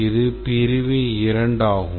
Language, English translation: Tamil, This is the section 2